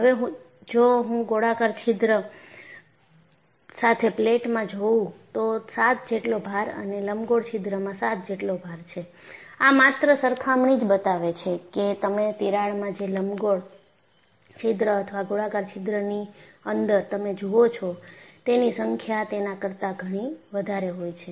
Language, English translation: Gujarati, And, if I maintain the load as 7 in plate with the circular hole, as well as 7 in the elliptical hole, the mere comparison shows, the number of fringes you come across in a crack is much higher than what you see in an elliptical hole or a circular hole